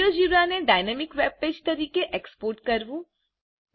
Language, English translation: Gujarati, To export Geogebra as a dynamic webpage